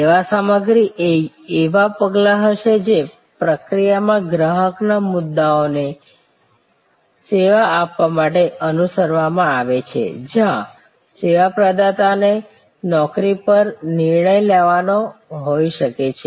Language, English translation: Gujarati, Service content will be steps that are followed to serve the customer points in the process, where the service provider employ may have to make decisions